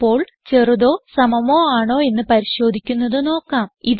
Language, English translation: Malayalam, Next well see how to check for less than or equal to